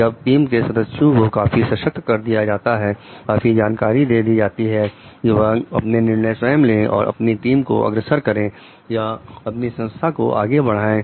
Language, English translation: Hindi, Where the team members are empowered enough knowledgeable enough to take their own decisions and move the team or the organization forward